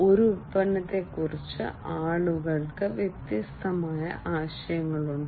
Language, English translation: Malayalam, People have different ideas regarding a product